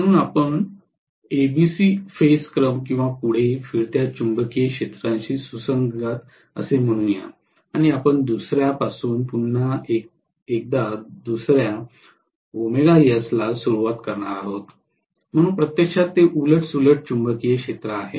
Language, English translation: Marathi, So this is let us say corresponding to ABC phase sequence or forward rotating magnetic field clockwise or anti clockwise and we are going to take the other one again starting from the other omega S, but it is going to actually go like this which is reverse rotating magnetic field